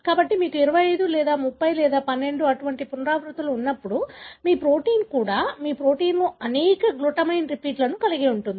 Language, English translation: Telugu, So, when you have 25 or 30 or 12 such repeats, so your protein will, also will have as many glutamine repeats in your protein